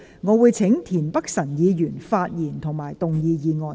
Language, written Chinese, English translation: Cantonese, 我請田北辰議員發言及動議議案。, I call upon Mr Michael TIEN to speak and move the motion